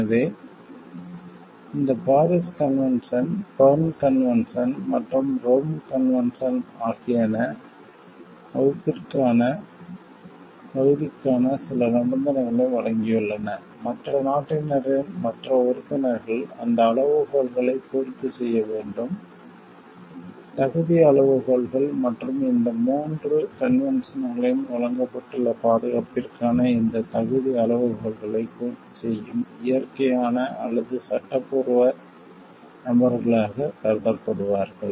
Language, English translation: Tamil, So, in this Paris convention, Berne convention and the Rome convention have given certain criteria for eligibility of protection and the other members of other nationals other members should like meet those criteria; eligibility criteria and are will be considered as those natural or legal persons who meet these eligibility criteria for protection as provided in these 3 conventions